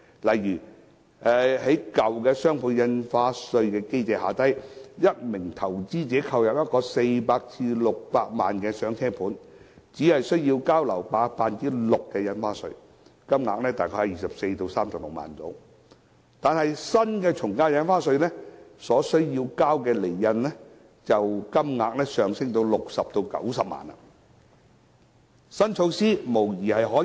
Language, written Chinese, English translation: Cantonese, 例如，在舊有的雙倍印花稅機制下，一名投資者購入一個400萬元至600萬元的"上車盤"，只須繳交樓價 6% 的印花稅，金額大概是24萬元至36萬元，但根據新的從價印花稅，所須繳交的印花稅金額便會上升至60萬元至90萬元。, For instance under the previous DSD mechanism an investor buying a starter home worth 4 million to 6 million only needs to pay stamp duty which accounted for 6 % of the property price ie . around 240,000 to 360,000 . But under the new AVD regime the stamp duty he pays will increase to 600,000 to 900,000